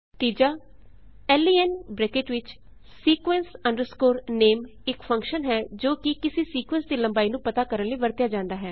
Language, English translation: Punjabi, len within brackets sequence name is the function used to find out the length of a sequence